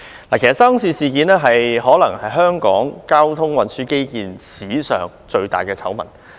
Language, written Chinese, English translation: Cantonese, 其實沙中線事件可能是香港交通運輸基建發展史上最大的醜聞。, In fact the incident involving SCL is perhaps the biggest scandal ever in the history of transport infrastructure development in Hong Kong